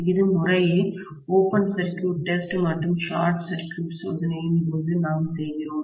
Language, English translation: Tamil, And that is what we do during short circuit test and open circuit test respectively, okay